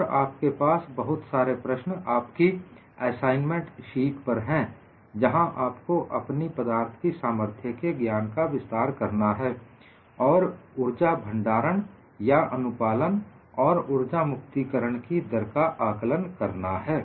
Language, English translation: Hindi, And you have several problems in your assignment sheet where you could extend your knowledge of strength of materials to find out the energy stored or find out the compliance, and evaluate the energy release rate